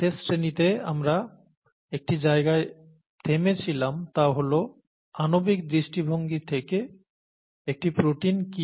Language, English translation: Bengali, So in the last class, last lecture we left at a point, from a molecular viewpoint, what is a protein